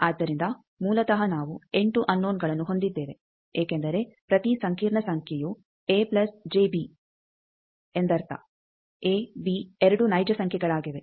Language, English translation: Kannada, So, basically we have 8 unknowns because each complex number means a plus j b, a b both are real